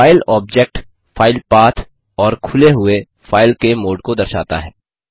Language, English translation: Hindi, The file object shows the filepath and mode of the file which is open